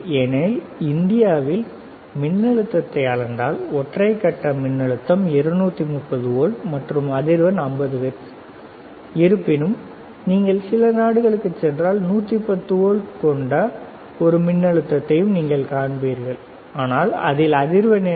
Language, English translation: Tamil, Because in India, right if we measure the voltage the voltage would be single phase 230 volts and the frequency is 50 hertz, 50 hertz right; however, if you go to some countries, you will also see a voltage which is 110 volts, but in that what is the frequency